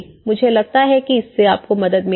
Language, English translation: Hindi, I think that will help you